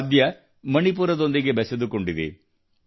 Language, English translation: Kannada, This instrument has connections with Manipur